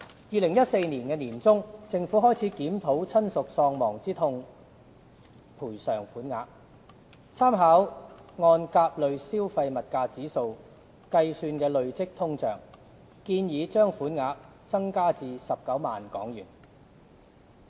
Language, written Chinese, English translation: Cantonese, 2014年年中，政府開始檢討親屬喪亡之痛賠償款額，參考按甲類消費物價指數計算的累積通脹，建議把款額增加至19萬元。, In mid - 2014 the Government commenced a review of the bereavement sum and having made reference to the cumulative inflation as measured by the CPIA proposed to increase the sum to 190,000